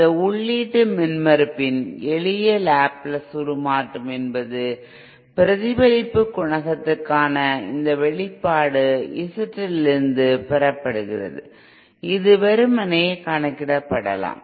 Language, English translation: Tamil, If you just a simple Laplace transform of the input impedance of this Laplace I mean this is this expression for the reflection coefficient is obtained from Z L which can be simply calculated